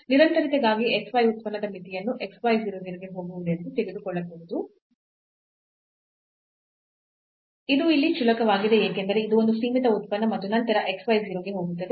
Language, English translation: Kannada, So, for the continuity we have to take this limit as x y goes to 0 0 of this function x y; and which is trivial here because this is a bounded function sitting and then x y go to 0